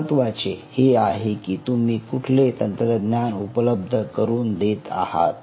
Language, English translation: Marathi, important is the technology, what you are offering